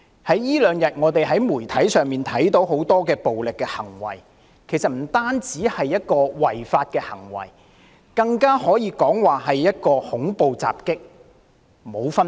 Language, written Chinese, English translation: Cantonese, 這兩天我們從媒體上看到很多暴力行為，這些行為不單違法，甚至可說和恐怖襲擊全無分別。, As we have learned from media reports over these two days there have been so many violent acts and these acts are not only unlawful but also no different from terrorist attacks